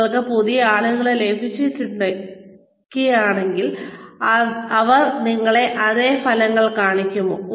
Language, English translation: Malayalam, If you get new people, are they going to show you the same results